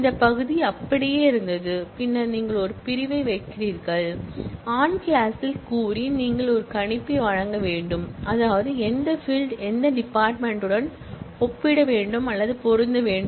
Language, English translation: Tamil, This part was same then you are putting an on clause, saying in the on clause, you will have to provide a predicate that is, which field should equate or match with what field